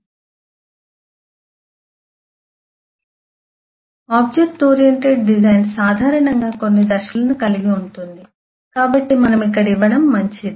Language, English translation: Telugu, so the object oriented design comprised typically of a couple of stages, so better that we give